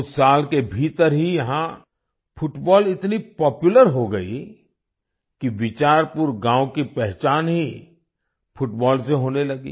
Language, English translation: Hindi, Within a few years, football became so popular that Bicharpur village itself was identified with football